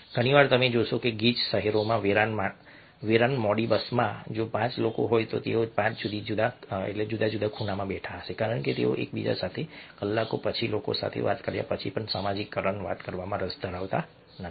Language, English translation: Gujarati, very often you find that in a deserted, late bus in a crowded city, if there are five people, they would be sitting in five different corners because they are not interested to talk to one another after having spent hours after hours talking to people and socializing